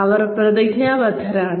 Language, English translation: Malayalam, They are committed